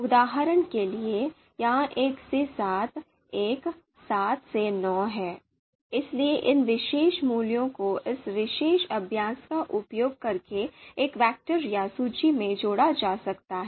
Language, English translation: Hindi, For example this one to seven, 1, 7 to 9, so this particular you know you know these particular values can be combined using this particular function, so combine values into a vector or list